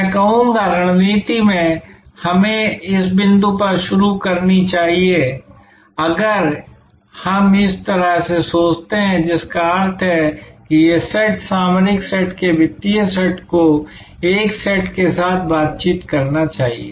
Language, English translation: Hindi, I would say that strategy we should start at this point, if we think in this way which means that these set, the financial set of the strategic set must interact with this set